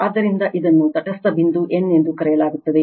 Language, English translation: Kannada, So, this is called neutral point n